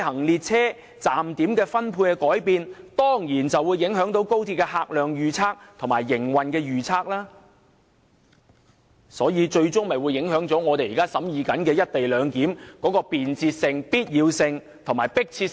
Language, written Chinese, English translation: Cantonese, 列車站點數目的改變，必然影響高鐵的客量預測及營運預測，進而最終影響我們現正審議的"一地兩檢"安排的便捷性、必要性和迫切性。, The reduction in the number of train destinations will definitely affect XRLs patronage forecast and operation projections which will ultimately affect the convenience necessity and urgency of the co - location arrangement under discussion